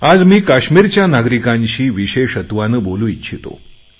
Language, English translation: Marathi, I also wish today to specially talk to those living in Kashmir